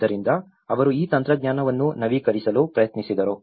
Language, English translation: Kannada, So, what they did was they try to upgrade this technology